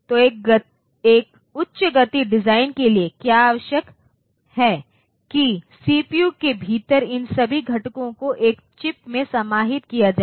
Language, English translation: Hindi, So, for a high speed design, what is required is that all these components within the CPU they should be contained in a single chip